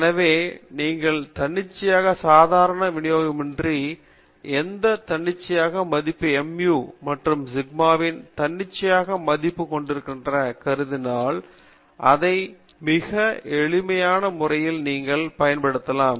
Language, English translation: Tamil, So suppose you have any arbitrary normal distribution with any arbitrary value of mu and arbitrary value of a sigma, then you can standardize it in a very simple way